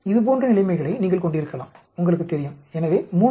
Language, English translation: Tamil, Whereas you can have situations like this you know, so at 3